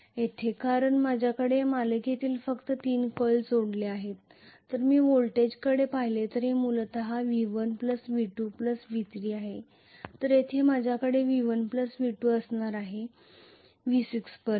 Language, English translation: Marathi, Here because I have only three coils connected in series if I look at the voltage it is essentially V1 plus V2 plus V3 whereas here I am going to have V1 plus V2 until V6